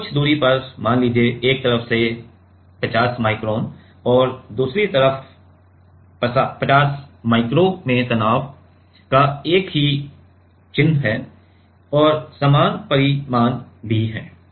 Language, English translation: Hindi, So, at a distance let us say a 50 micron from one side and 50 micro on the other side have the same sign of the stress and also same magnitude